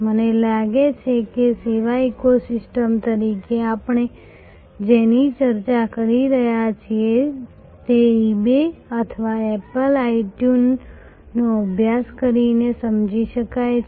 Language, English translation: Gujarati, I think what we have been discussing as service ecosystem can be of course, understood by studying eBay or apple itune